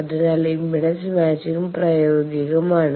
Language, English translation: Malayalam, So, that the impedance matching is realistic